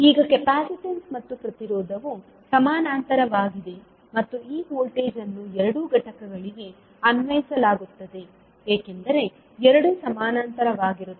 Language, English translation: Kannada, Now the capacitance and resistance are in parallel and this voltage would be applied across both of the components because both are in parallel